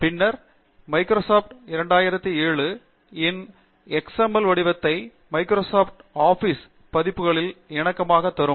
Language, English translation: Tamil, And then choose Microsoft 2007 XML as a format which is compatible with the later versions of Microsoft Office also